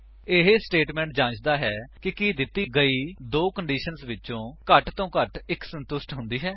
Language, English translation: Punjabi, This statement checks if at least one of the given two conditions is satisfied